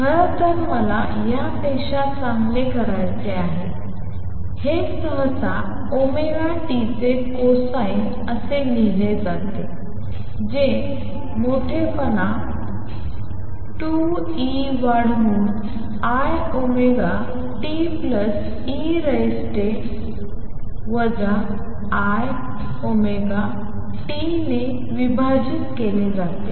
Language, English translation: Marathi, In fact, I want to do better than that; this is usually written as A cosine of omega t which is amplitude divided by 2 e raise to i omega t plus e raise to minus i omega t